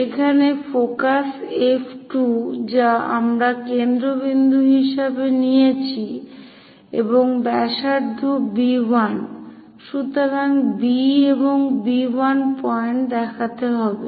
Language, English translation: Bengali, Now, with focus F 2 from here, as a centre and radius B 1; so, B is here B 1 is that